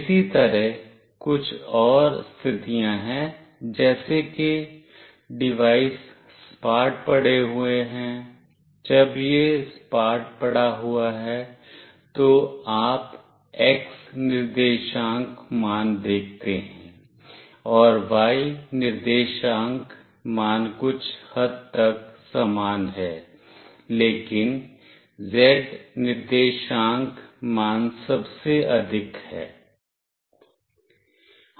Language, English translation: Hindi, Similarly, there are few more condition like the devices lying flat, when it is lying flat you see x coordinate value, and y coordinate value are to some extent same, but the z coordinate value is the highest